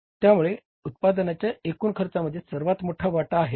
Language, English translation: Marathi, So, this is the biggest contributor to the total cost of the production, largest contributor to the total cost of the production